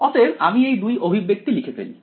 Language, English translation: Bengali, So, I will write down the 2 expressions